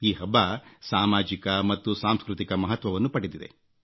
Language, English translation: Kannada, This festival is known for its social and cultural significance